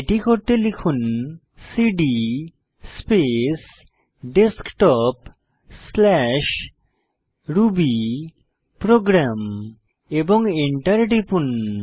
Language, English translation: Bengali, To do so, type cd space Desktop/rubyprogram and press Enter